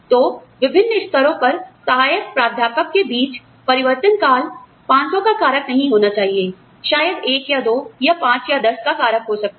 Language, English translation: Hindi, So, the transition between, say, you know, assistant professors at various levels, should not be, you know, factor of, maybe 500, could be a factor of 1, or 2, or 5, or 10